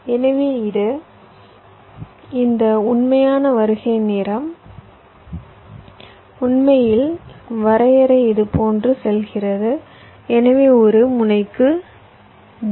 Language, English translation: Tamil, so this, this, this actual arrival time, actually formally definition goes like this: so for a node, v